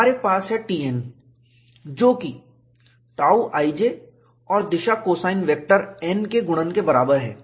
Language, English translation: Hindi, We have T n equal to tau i j multiplied by the direction cosine vector n